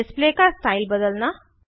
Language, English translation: Hindi, Change the style of the display